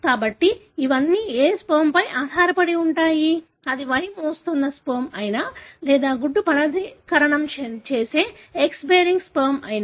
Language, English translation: Telugu, So, it all depends on which sperm, whether it is Y bearing sperm or X bearing sperm which fertilize the egg